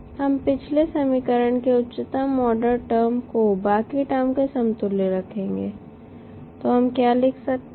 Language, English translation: Hindi, We will equate the highest order term of the last equation to the rest of the terms